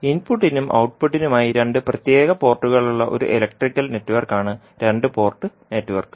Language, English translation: Malayalam, Two port network is an electrical network with two separate ports for input and output